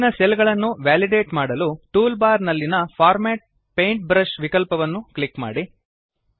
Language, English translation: Kannada, To validate the cells below, first click on the Format Paintbrush option on the toolbar